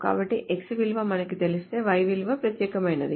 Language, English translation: Telugu, So if you know the value of x, the value of y is unique